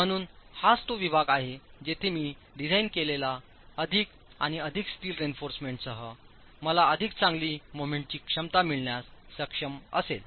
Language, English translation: Marathi, So, that's the zone where with more and more steel reinforcement that I design, I will be able to get better moment capacity